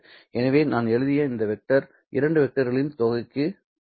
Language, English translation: Tamil, So, this vector which I have written will give me the sum of these two vectors